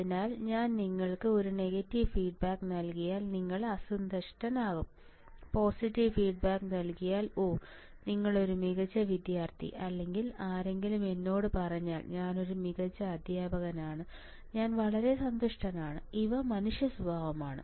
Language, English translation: Malayalam, So, if I give you a negative feedback you will be unhappy and if I give positive feedback, oh, your excellent student or somebody tells me, I am an excellent teacher, I am very happy, these are the human nature